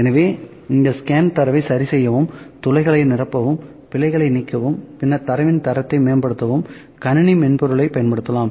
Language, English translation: Tamil, So, the computer software can be used to clean up this scan data, filling holes, correcting errors, then, improving data quality